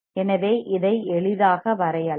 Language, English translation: Tamil, So, this can be drawn easily